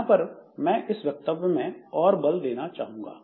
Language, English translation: Hindi, So, this statement I'd like to emphasize